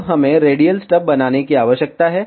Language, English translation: Hindi, Now, we need to make the radial stubs